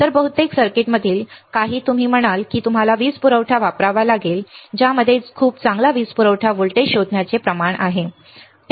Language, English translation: Marathi, So, some in most of the circuit you will say that you have to use power supply which is having a very good power supply voltage detection ratio